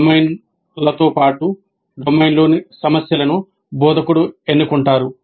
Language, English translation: Telugu, The domain as well as the problems in the domain are selected by the instructor